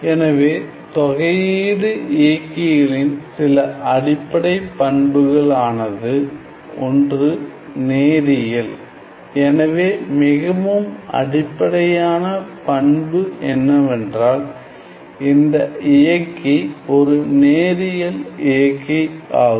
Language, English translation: Tamil, So, some of the basic properties, some of the basic properties of these integral operators, so the most basic property is that this operator is a linear operator